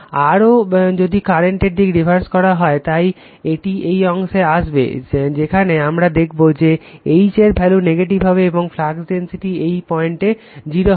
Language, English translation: Bengali, Further we are reversing the direction of the current, so it will come to this portion, where you will get H value will be negative, and you will find your flux density B at this point is 0 right